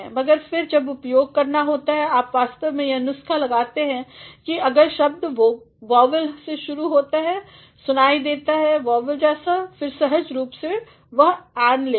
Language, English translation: Hindi, But, then when it comes to making use of it, you actually go by the formula that if a word begins with a vowel sounds vowel sound, then naturally it will take an